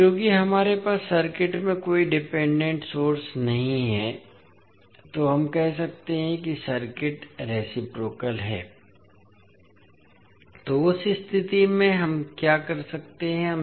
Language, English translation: Hindi, Now since we do not have any dependent source in the circuit, we can say that the circuit is reciprocal so in that case, what we can do